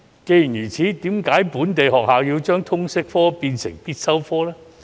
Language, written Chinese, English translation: Cantonese, 既然如此，為甚麼本地學校要將通識科列為必修科呢？, Under the circumstances why should local schools include LS as a compulsory subject?